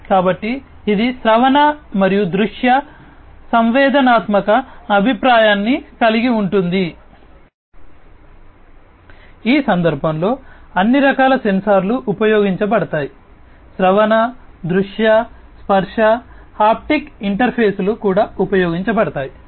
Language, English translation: Telugu, So, it incorporates auditory and visual sensory feedback all kinds of sensors are used in this case also auditory, visual, touch haptic interfaces are also used